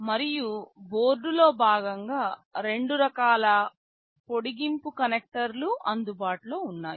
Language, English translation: Telugu, And, there are two types of extension connectors that are available as part of the board